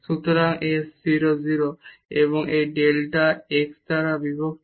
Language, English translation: Bengali, So, 0 and minus this f 0 0 divided by delta x